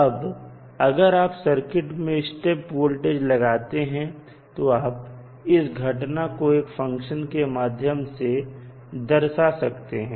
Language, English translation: Hindi, Now, if you apply step voltage to the circuit; you can represent that phenomena with the help of this function